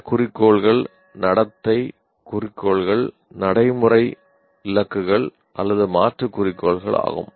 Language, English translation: Tamil, Now these goals are behavioral goals, procedural goals or substantive goals